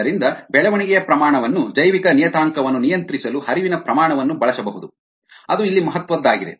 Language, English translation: Kannada, so the flow rate can be used to control a biological parameter, which is the growth rate